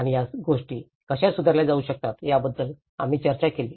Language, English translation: Marathi, And also, we did discussed about how these things could be improved